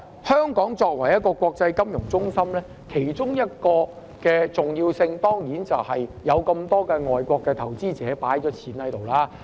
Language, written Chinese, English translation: Cantonese, 香港作為一個國際金融中心，其中一個重要性，當然是有很多外國投資者把資金放在香港。, As an international financial centre one reason for Hong Kongs importance lies in the fact that many foreign investors have put their funds in Hong Kong